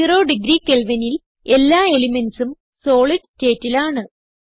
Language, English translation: Malayalam, At zero degree Kelvin all the elements are in solid state